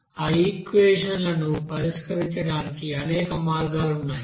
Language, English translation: Telugu, Now there are several, you know way to solve those equations